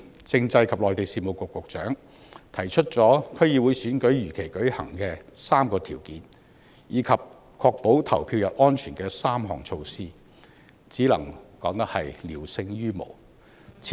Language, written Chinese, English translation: Cantonese, 政制及內地事務局局長日前提出了區議會選舉如期舉行的3個條件，以及確保投票日安全的3項措施，只能說是聊勝於無。, The Secretary for Constitutional and Mainland Affairs stated the other day the three criteria for conducting the DC Election as scheduled and three measures to ensure safety on the polling day . We can only say that such initiatives are better than none